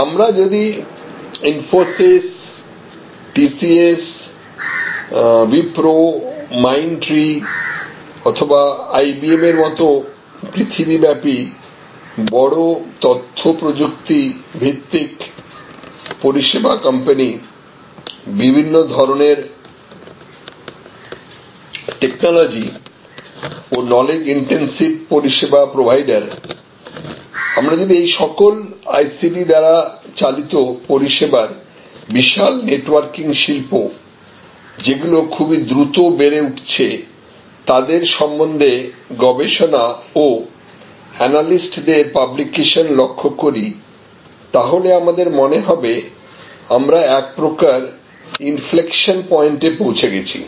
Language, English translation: Bengali, So, if you study the companies like Infosys or TCS or Wipro or Mind tree or IBM or all the big information technology based service companies around the world, various kind of technology intensive, knowledge intensive service providers around the world and if you observe the research publications and analyst publications, those are coming out with respect to this huge and rapidly growing industry around the world, this ICT enabled service networking industry, then we appear to have reach another inflection point